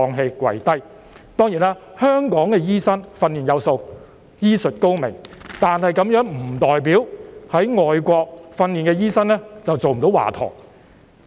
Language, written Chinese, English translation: Cantonese, 香港的醫生當然是訓練有素、醫術高明，但這並不代表在外國受訓的醫生便做不到華佗。, Hong Kong doctors are certainly well - trained and equipped with excellent medical skills but this does not mean that doctors trained overseas cannot become a good doctor like HUA Tuo